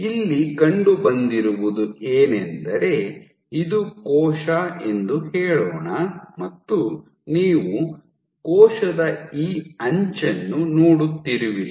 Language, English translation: Kannada, So, what has been found was, let us say that this cell you are looking at this edge of the cell